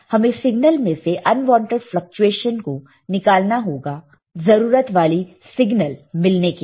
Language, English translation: Hindi, We have to remove the unwanted fluctuation in the signal, so that we can retain the wanted signal